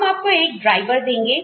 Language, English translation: Hindi, We will give you a driver